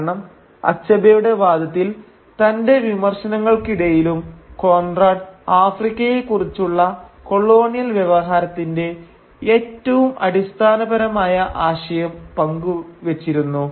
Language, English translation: Malayalam, Because Achebe argues that in spite of his criticism, Conrad shared the most fundamental idea which informed the colonial discourse on Africa